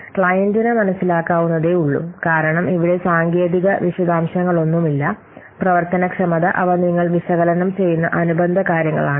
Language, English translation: Malayalam, Understandable by the client because here no technical details are there, you just what are the functionalities and they are associated things you are just analyzing